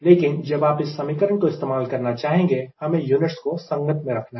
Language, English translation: Hindi, but when you want to use this formula here we have to be consistent in unit